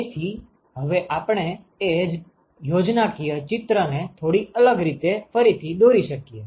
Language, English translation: Gujarati, So, now we could also re sketch the same schematic in a slightly different way